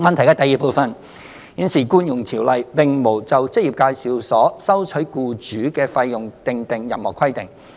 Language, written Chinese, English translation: Cantonese, 二現時《僱傭條例》並無就職業介紹所收取僱主的費用訂定任何規定。, 2 There is currently no provision under EO governing the amount of fees collected by EAs from the employers